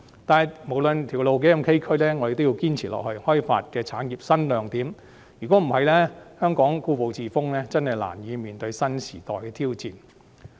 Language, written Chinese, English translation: Cantonese, 但是，不論路途多崎嶇，我們也要堅持開發產業新亮點，如果香港故步自封，實在難以面對新時代的挑戰。, However regardless of how rugged the way forward is we must persist in developing new key products in the industry . If Hong Kong is stuck in the old ways it can hardly cope with the challenges in the new era